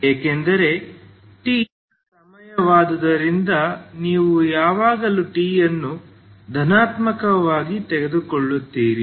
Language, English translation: Kannada, So because T is time T is always you take it as positive